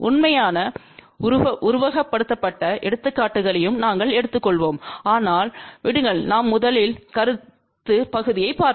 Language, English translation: Tamil, We will take real simulated examples also, but let us first look at the concept part